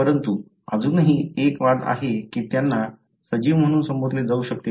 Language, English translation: Marathi, But, still there is a debate whether these can be called as a living organism